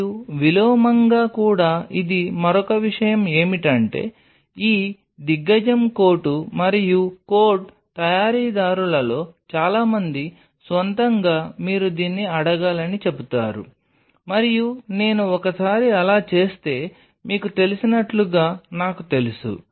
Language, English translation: Telugu, And even with inverted this is another thing which most of these giant coat and code manufacturers own tell you have to ask then this and I myself got like kind of you know, once I do